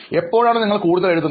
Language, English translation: Malayalam, When do you think you write the most